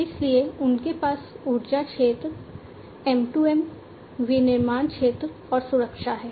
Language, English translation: Hindi, So, they have the energy sector, M2M, manufacturing sector, and safety